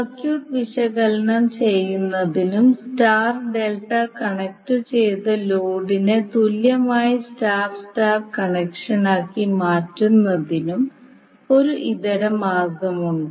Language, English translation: Malayalam, Now there is an alternate way also to analyze the circuit to transform star delta connected load to equivalent star star connection